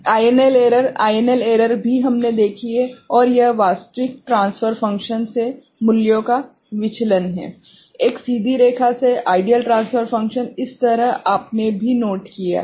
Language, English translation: Hindi, INL error, INL error also we have seen and this is the deviation of the values from the actual transfer function from a straight line ok, the ideal transfer function so that you also you have noted